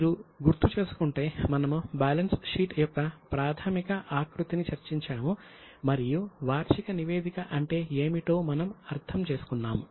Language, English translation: Telugu, If you remember we have discussed the basic format of balance sheet and then we went on to understand what is annual report